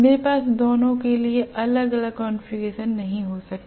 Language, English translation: Hindi, I cannot have different configurations for both